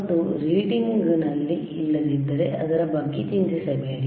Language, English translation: Kannada, And if the if the readings are not here, do not worry about it